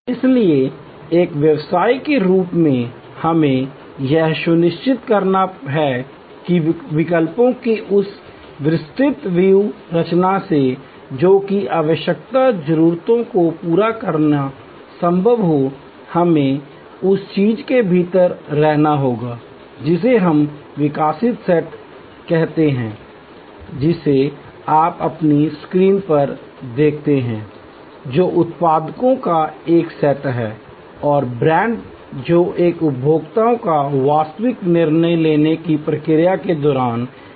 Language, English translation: Hindi, So, as a business we have to ensure that from that wide array of choices that are possible to meet the arouse need, we have to be within what we call the evoked set, which you see on your screen, which is a set of products and brands that a consumer considers during the actual decision making process